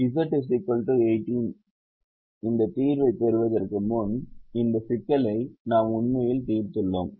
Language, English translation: Tamil, we have actually solved this problem before to get the solution of z is equal to eighteen